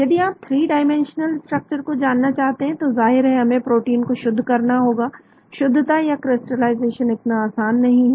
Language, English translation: Hindi, if you want to know the 3 dimensional structure of course we need to crystallize the protein , crystallization is not so simple